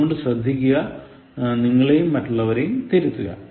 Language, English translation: Malayalam, So be careful, correct yourself, correct others also